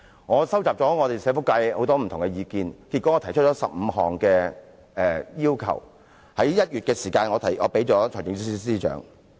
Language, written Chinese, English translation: Cantonese, 我收集了社福界很多不同意見，最後我提出15項要求，並在1月提交予財政司司長。, Having collected many different views from the social welfare sector eventually I put forward 15 requests in a submission to the Financial Secretary in January